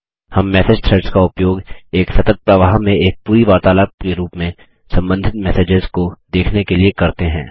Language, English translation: Hindi, We use message threads to view related messages as one entire conversation, in a continuous flow